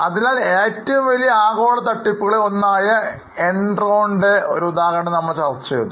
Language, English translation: Malayalam, So, we discussed an example of Enron, which is one of the biggest global fraud